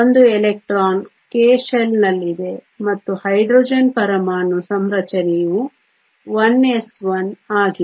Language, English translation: Kannada, The one electron is in the k shell and the atomic configuration for Hydrogen is 1 s 1